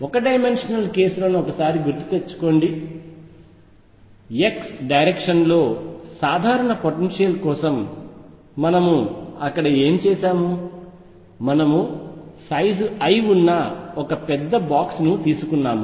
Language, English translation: Telugu, Recall the one dimensional cases, what we have done there for a general potential in x direction, we had taken a box which was a huge box of size l